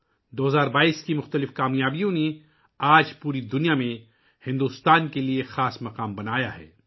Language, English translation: Urdu, The various successes of 2022, today, have created a special place for India all over the world